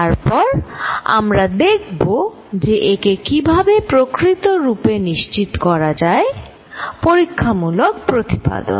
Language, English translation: Bengali, Then, we are going to see how this can be confirmed that this is really true, experimental verification